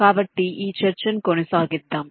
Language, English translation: Telugu, so let us continue with a discussion